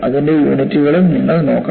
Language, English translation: Malayalam, You should also look at the units attached to this